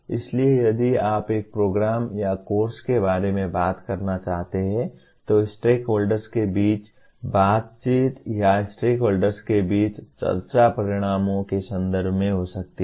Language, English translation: Hindi, So if you want to talk about a program or a course the conversation between the stakeholders or the discussion among the stakeholders can be in terms of outcomes